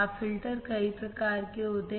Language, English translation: Hindi, Now, filters are of several types